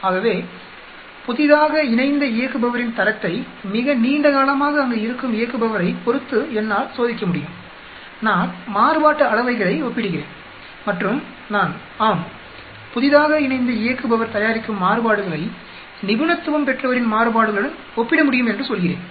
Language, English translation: Tamil, So I can test the quality of the newly joined operator with the respect to the operator who has been there for a very long time and I compare variances and I say yes, the variations that are the newly joined operator produces is comparable to the variations of the expert